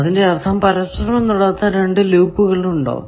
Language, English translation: Malayalam, That means, are there two loops which are not touching